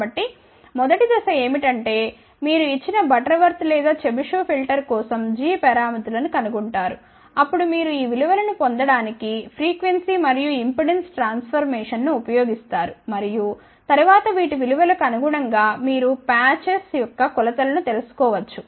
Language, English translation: Telugu, So, you can see that first step would be is that you find the g parameters for a given Butterworth or Chebyshev filter then you use the frequency and impedance transformation to get these values and then corresponding to these values you can find out the dimensions of these patches